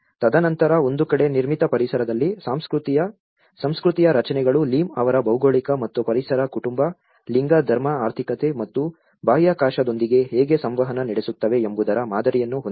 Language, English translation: Kannada, And then on one side the constructs of culture in the built environment like you have the Lim’s model of geography and ecological environment, family, gender, religion, economy and how these actually interact with the space